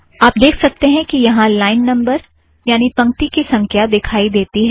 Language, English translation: Hindi, So you can see that line numbers have come